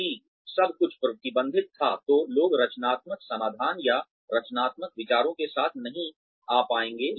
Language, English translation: Hindi, If everything was restricted, people would not be able to come up with creative solutions or creative ideas